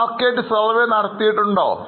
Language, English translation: Malayalam, Have you done a market survey